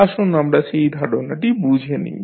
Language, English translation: Bengali, Let us understand that particular concept